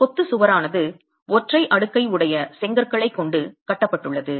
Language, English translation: Tamil, The masonry wall is constructed with a single stack of bricks